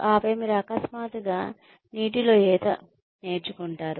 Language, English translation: Telugu, And then, you suddenly learn to swim in the water